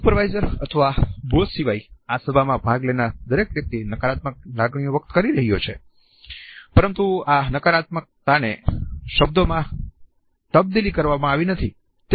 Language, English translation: Gujarati, Every single person who is attending this meeting except the supervisor or the boss is conveying a negative emotion, but this negativity has not been translated into the words